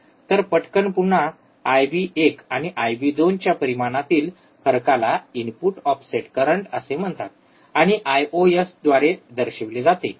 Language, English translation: Marathi, So, quickly again, the difference in the magnitude of I b 1 and I b 2 Ib1 and Ib2 is called input offset current, and is denoted by I ios,